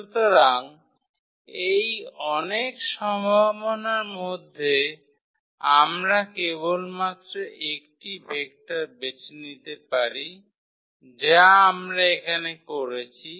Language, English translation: Bengali, So, out of these many possibilities we can just pick one vector that we have done here for instance